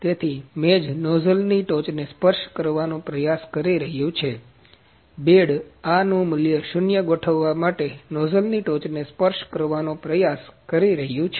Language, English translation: Gujarati, So, the bed is trying to touch the nozzle top; the bed is trying to touch a nozzle top to set this zero value